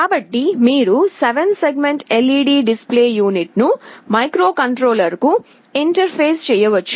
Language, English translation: Telugu, So, this is how you can interface a 7 segment LED display unit to the microcontroller